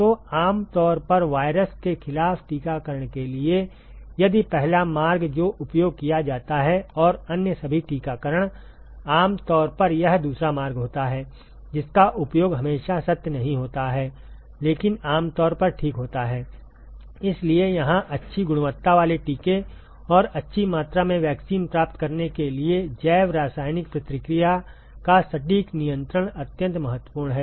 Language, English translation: Hindi, So, for generally for vaccination against virus if the first route that is used and all the other vaccinations, typically it is the second route which is used not always true, but typically ok So, here precise control of the biochemical reaction is extremely important in order to get good quality vaccine and also good quantity vaccine